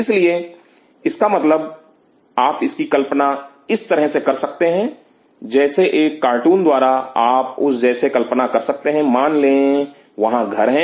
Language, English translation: Hindi, So, it means you can imagine it like this, as a cartoon way you can imagine like that suppose there are houses